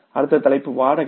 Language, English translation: Tamil, Next head is rent